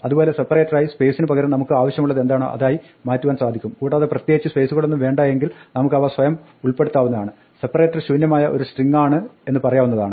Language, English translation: Malayalam, Similarly we can change the separator from a space to whatever we want and in particular if we do not want any spaces we can put them ourselves and just say the separator is nothing the empty string